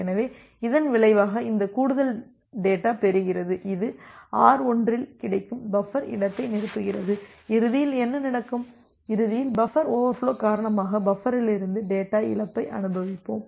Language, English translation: Tamil, So, that as a result this additional data that it is receiving, it will get on filling up the buffer space which is available at R1 and eventually what will happen, that eventually we will experience the data loss from the buffer due to buffer over flow